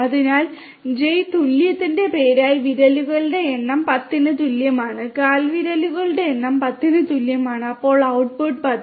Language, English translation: Malayalam, So, name equal to Jane, number of fingers equal to 10, number of toes is equal to 10 then the output will be 10